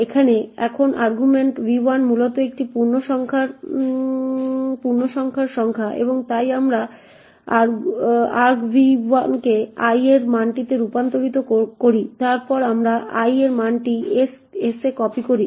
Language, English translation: Bengali, Now argv1 is essentially an integer number and therefore we convert argv1 to this value of i then we copy this value of i to s